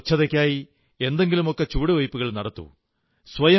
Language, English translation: Malayalam, Take one or another step towards cleanliness